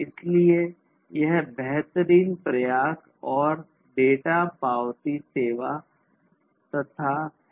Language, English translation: Hindi, So, this is kind of a best effort and unacknowledged data service